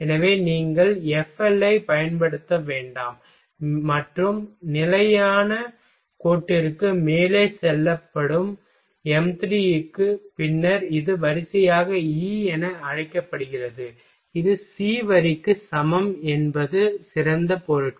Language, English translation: Tamil, So, you do not use [FL] and for m3 which is lied above the constant line, then this is called E by row is equal to C line is the better materials